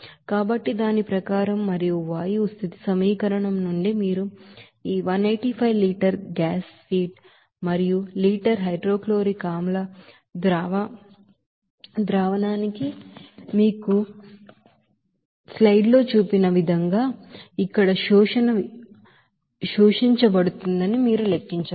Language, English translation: Telugu, So as per that and also from the equation of state of gas, you can calculate that this 185 liter of gas feed per liter of hydrochloric acid solution which is to be you know, absorbed in the absorber here as shown in the slide